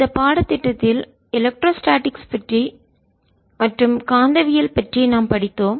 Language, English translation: Tamil, you have learnt in this course about electrostatics, about magnitude statics